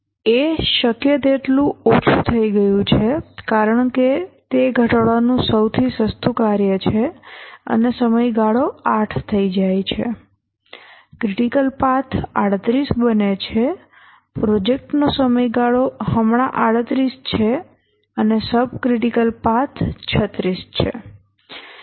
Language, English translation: Gujarati, A is reduced as much as possible because that is the cheapest task to reduce and the duration for A becomes 8, the critical path becomes 38, the project duration is 38 now and the subcritical path is 36